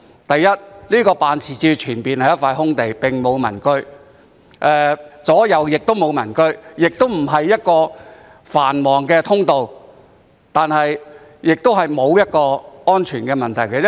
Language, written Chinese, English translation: Cantonese, 首先，該辦事處前面是一塊空地，並沒有民居，其左右亦沒有民居，有關位置也不是一個繁忙的通道或存在安全問題。, First of all the office concerned is facing an open space where there are no residential units nor are there any residential units to the left or right of it nor is the location a busy passageway or posing a safety concern